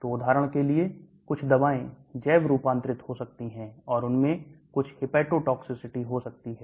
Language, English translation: Hindi, So for example some drugs may get biotransformed and they may have some hepatotoxicity